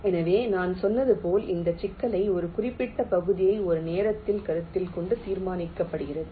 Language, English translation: Tamil, ok, so this problem, as i said, is solved by considering one region at a time, in some particular order